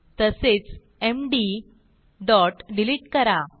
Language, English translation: Marathi, Also we will Delete md